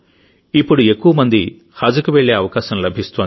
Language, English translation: Telugu, Now, more and more people are getting the chance to go for 'Haj'